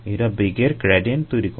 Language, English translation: Bengali, it causes velocity gradients